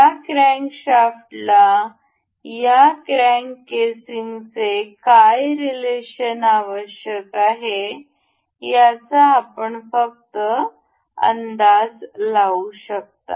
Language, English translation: Marathi, You can just guess what relation does this crankshaft needs to have with this crank casing